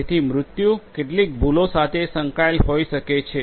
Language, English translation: Gujarati, So, there might be deaths that might be associated with certain mistakes